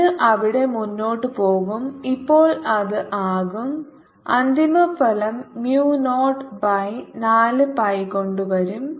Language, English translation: Malayalam, this will carry forward there and now it will become final result till come with mu naught, tau four pi